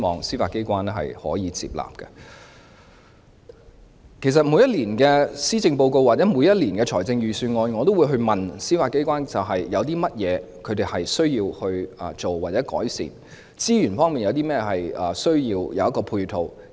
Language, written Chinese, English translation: Cantonese, 事實上，關於每年的施政報告或財政預算案，我也會詢問司法機關有甚麼需要或改善的地方，或需要甚麼資源和配套。, In fact in relation to the policy address or the budget of each year I will ask members of the Judiciary if it has any need; if there are areas where improvements can be made or if any resources or support facilities are required